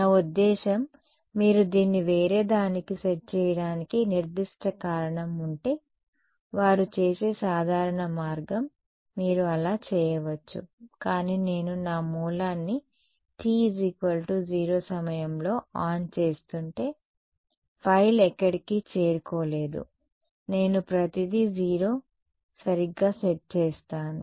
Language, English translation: Telugu, I mean that is a typical way they may if you have a specific reason to set it to something else you could do that, but if my I am turning my source on at time t is equal to 0 right then of course, filed has not reached anywhere I will set everything will be 0 right